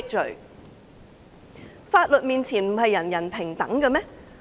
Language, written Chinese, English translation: Cantonese, 在法律面前，不是人人平等嗎？, Isnt everyone equal before the law?